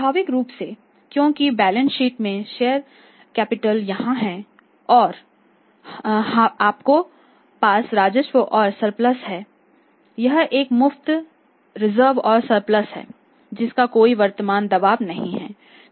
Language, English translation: Hindi, Naturally because in the balance sheet share capital here then you the reserves and surplus that is a free reserve and surplus which is not having any any claim current claim on the contingent claim against that that part